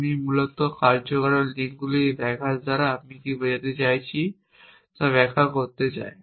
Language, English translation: Bengali, I want to illustrate what I mean by this disruption of causal links essentially